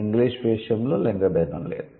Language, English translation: Telugu, So, in in case of English, there is no gender distinction